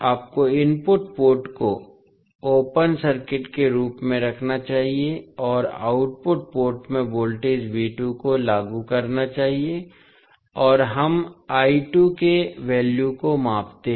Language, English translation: Hindi, You have to keep input port as open circuit and apply voltage V2 across the output port and we measure the value of I2